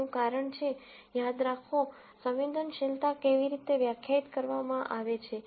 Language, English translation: Gujarati, The reason is, remember, how sensitivity is defined